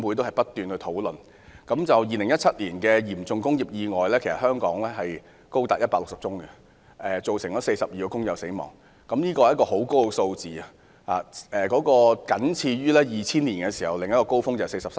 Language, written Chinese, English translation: Cantonese, 香港在2017年的嚴重工業意外數目高達160宗，造成42名工友死亡，這個傷亡數字奇高，僅次於2000年的43宗。, The number of serious industrial accidents in Hong Kong in 2017 was as high as 160 resulting in the death of 42 workers . The number of casualties was extremely high only one spot behind the 43 deaths of 2000